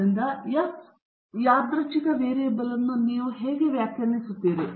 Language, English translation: Kannada, So, how do you define the F random variable